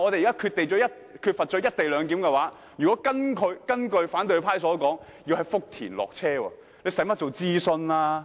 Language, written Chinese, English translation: Cantonese, 如果不實施"一地兩檢"，而是如同反對派所說在福田下車過關，那又何須諮詢？, Without the co - location arrangement passengers will have to get off the train to go through customs at Futian as suggested by the opposition camp . If it is the case why do we need a consultation?